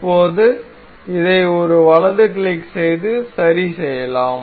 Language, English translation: Tamil, So, now, we can fix this one right click on this, fixed